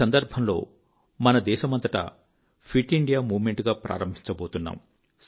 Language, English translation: Telugu, On this occasion, we are going to launch the 'Fit India Movement' across the country